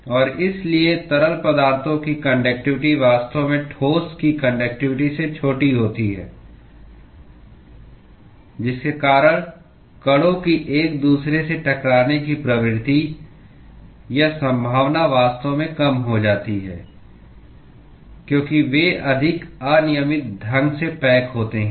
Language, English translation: Hindi, And therefore, the conductivity of the liquids is actually smaller than conductivity of the solids cause the propensity or possibility of the molecules to collide with each other actually goes down because they are more randomly packed